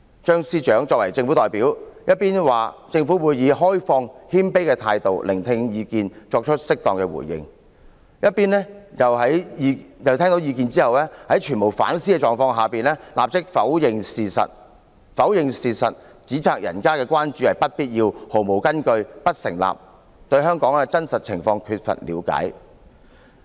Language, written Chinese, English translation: Cantonese, "張司長作為政府代表，一邊說政府會以開放、謙卑的態度聆聽意見，並作出適當回應；一邊卻在聽到意見後，在全無反思的狀況下立刻否認事實，指責人家的關注是不必要、毫無根據、不成立、對香港的真實情況缺乏了解。, As the government representative the Chief Secretary said that the government would listen to the opinions in an open and humble manner and respond appropriately . After listening to the opinions he immediately denied the facts and criticized the concerns of others as unwarranted unfounded and unsubstantiated and that they lack understanding of the real situation in Hong Kong